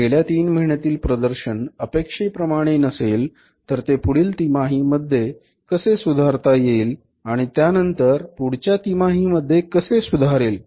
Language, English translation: Marathi, If that performance is not up to the mark how it can be improved in the next quarter and further how it can be improved in the next quarter